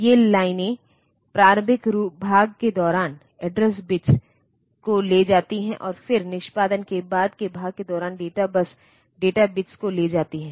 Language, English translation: Hindi, So, these lines carry the address bits during the early part, and then during the late part of execution carry the data bus data bits